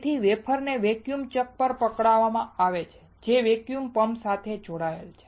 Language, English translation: Gujarati, So, wafer is held on to the vacuum chuck which is connected right to the vacuum pump